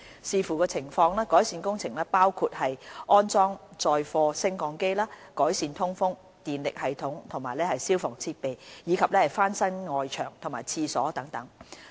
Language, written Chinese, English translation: Cantonese, 視乎情況，改善工程包括安裝載貨升降機、改善通風、電力系統和消防設備，以及翻新外牆和廁所等。, The scope of works may include installation of goods lift improvement of ventilation electricity and fire services installations and refurbishment of external walls and toilets etc